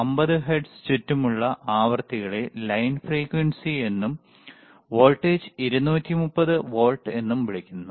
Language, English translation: Malayalam, Frequencies around 50 hertz is also called line frequency and the voltage was 230 volts